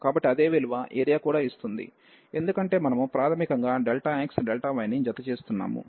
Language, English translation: Telugu, So, the same value will also give the area, because we are basically adding delta x delta y